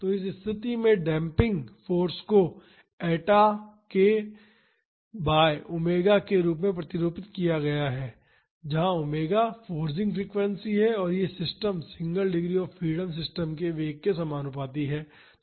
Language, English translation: Hindi, So, the damping force in this case is modeled as eta k by omega, where omega is the forcing frequency and it is proportional to the velocity of the system single degree of freedom system